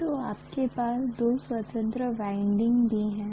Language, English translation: Hindi, So you have two independent windings there also